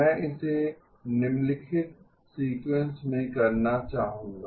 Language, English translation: Hindi, I would like to do it in the following sequence